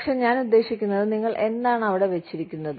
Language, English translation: Malayalam, But, what I mean, what do you put there